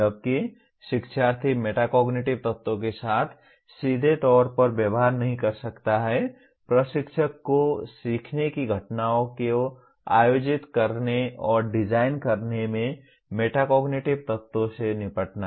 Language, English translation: Hindi, While the learner may not be directly dealing with Metacognitive elements, the instructor has to deal with Metacognitive elements in organizing and designing learning events